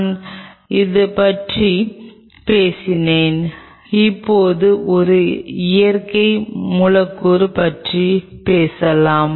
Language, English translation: Tamil, I have talked about these 2 now let us talk about a natural molecule